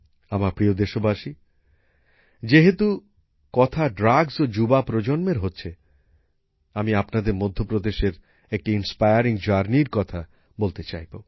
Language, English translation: Bengali, My dear countrymen, while talking about drugs and the young generation, I would also like to tell you about an inspiring journey from Madhya Pradesh